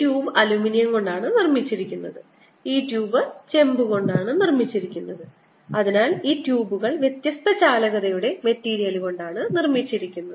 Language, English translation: Malayalam, this tube is made of aluminum and this tube is made of copper, so that i have these tubes made of material of different conductivity